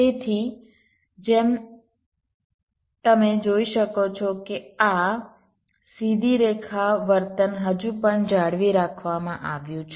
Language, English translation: Gujarati, so, as you can see, this straight line behavior is still being maintained, right